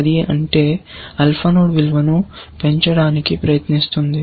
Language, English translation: Telugu, If it, alpha node try to raise the value